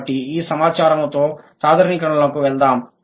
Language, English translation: Telugu, So, with this information let's move to the generalizations